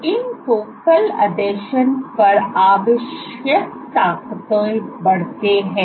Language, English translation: Hindi, So, on these focal adhesion growths the forces that are required